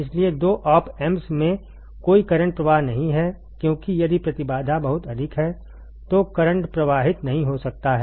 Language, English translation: Hindi, So, no current flows in two op amps right because if the impedance is very high then the current cannot flow right